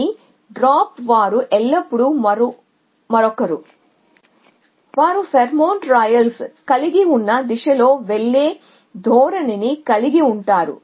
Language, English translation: Telugu, Either drop was themselves always somebody else is that have a tendency to go in a direction which as pheromone trails essentially